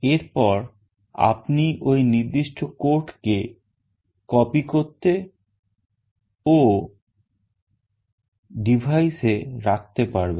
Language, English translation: Bengali, And you can then copy that particular code and put it in the device